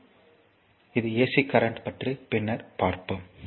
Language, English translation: Tamil, So, this is ac current ac current will see later